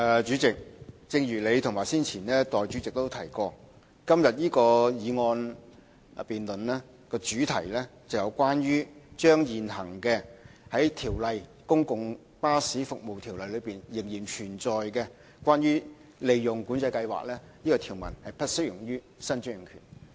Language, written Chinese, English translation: Cantonese, 主席，正如你和代理主席早前皆提及，今天這項議案辯論的主題是將現行《公共巴士服務條例》內仍然存在有關"利潤管制計劃"的條文，不適用於新專營權。, President as you and the Deputy President said earlier on the theme of the motion debate today is about the disapplication of the existing provisions on the Profit Control Scheme PCS in the Public Bus Services Ordinance to the new franchise